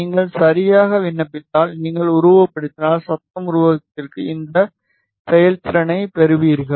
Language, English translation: Tamil, If you apply ok, and if you simulate, you get this performance for noise figure